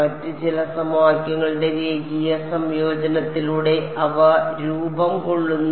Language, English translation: Malayalam, Redundant they are just formed by taking a linear combination of some of the other equations